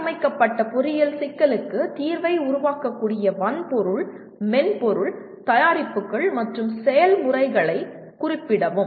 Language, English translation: Tamil, Specify the hardware, software, products and processes that can produce the solution to the formulated engineering problem